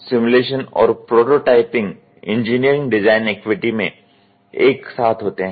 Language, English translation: Hindi, Simulation and prototyping occur simultaneously within the engineering design activity